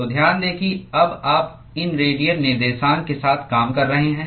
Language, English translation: Hindi, So, note that you are now dealing with these radial coordinates